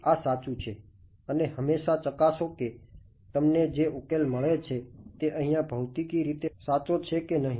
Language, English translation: Gujarati, Always check that you are getting a physically meaningful solution over here